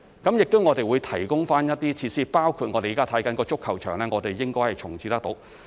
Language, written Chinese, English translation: Cantonese, 我們亦會提供一些設施，包括我們現正檢視的足球場，應能重置。, We will also provide some facilities including the football pitch currently under our review which can possibly be reprovisioned